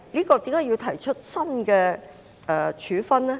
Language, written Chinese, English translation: Cantonese, 為何要訂定新的處分呢？, Why is it necessary to have the proposed sanction put in place?